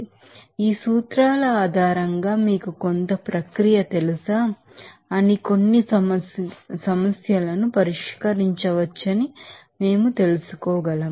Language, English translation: Telugu, So, based on these principles, we can you know solve some problems are you know some process